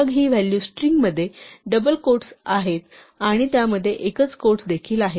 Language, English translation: Marathi, Then this value string has both double quotes inside it and it also has a single quote inside it